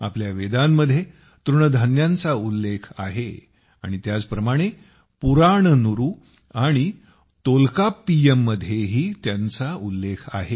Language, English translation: Marathi, Millets are mentioned in our Vedas, and similarly, they are also mentioned in Purananuru and Tolkappiyam